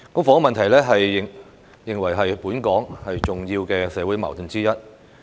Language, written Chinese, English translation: Cantonese, 房屋問題被認為是本港重要的社會矛盾之一。, The housing problem is regarded as one of the major social conflicts in Hong Kong